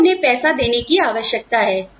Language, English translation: Hindi, We need to give them money